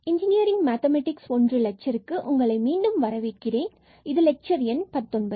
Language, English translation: Tamil, So, welcome back to the lectures on Engineering Mathematics I and this is lecture number 19